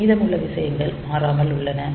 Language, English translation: Tamil, So, rest of the thing is unaltered